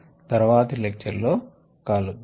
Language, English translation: Telugu, see you in the next lecture